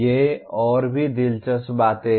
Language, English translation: Hindi, These are more interesting things